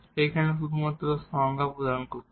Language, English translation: Bengali, Here we are just providing the definitions